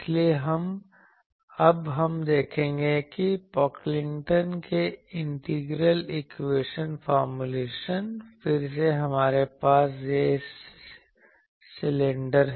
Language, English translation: Hindi, So, we will see now that that Pocklington’s integral equation formulation, again we have that cylinders